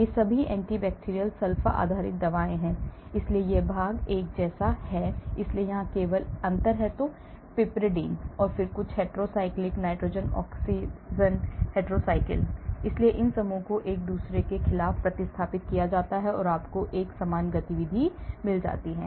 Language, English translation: Hindi, these are all anti bacterial sulfa based drugs , so this portion is the same, so there are just difference here ; piperidine and then some hetero cycle; nitrogen oxygen hetero cycle , so these groups can be replaced against each other and you get a similar activity